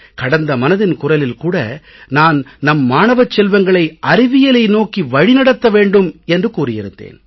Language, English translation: Tamil, In the previous episode of Mann Ki Baat I had expressed the view that our students should be drawn towards science